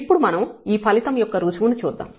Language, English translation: Telugu, So, we will just go through the proof of this result